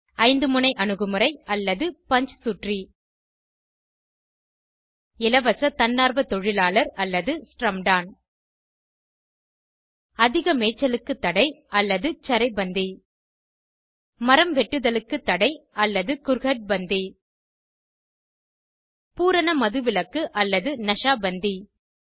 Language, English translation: Tamil, Five pronged approach or Panchsutri 1.Free voluntary Labour or Shramdaan 2.Ban on Grazing or Charai bandi 3.Ban on Tree cutting or Kurhad bandi 4.Ban on liquor or Nasha Bandi 5